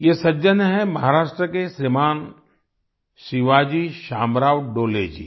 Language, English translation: Hindi, This is a gentleman, Shriman Shivaji Shamrao Dole from Maharashtra